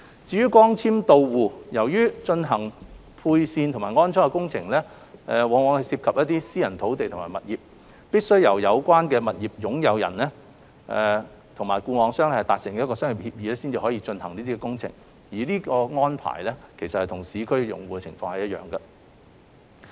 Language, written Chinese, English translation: Cantonese, 至於光纖到戶，由於在進行配線和安裝工程方面涉及私人土地及物業，必須由有關業權擁有人與固網商達成商業協議方可進行相關工程，這種安排與市區用戶的情況一樣。, As regards fibre - to - the - home since the wiring and installation works will involve private land and properties they could only proceed when the relevant owners have reached a commercial agreement with the FNO . This arrangement is the same as for subscribers in urban areas